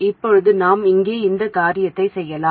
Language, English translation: Tamil, Now we can do exactly the same thing here